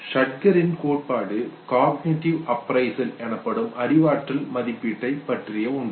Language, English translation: Tamil, The Schacter’s theory is something that talks about the cognitive appraisal okay